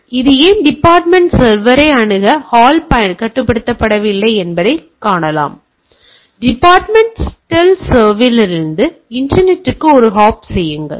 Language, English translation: Tamil, Now, see I can way this does not restrict the hall to access the departmental server, and make a hop from the departmental server to the internet